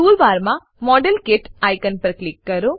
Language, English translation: Gujarati, Click on the modelkit icon in the tool bar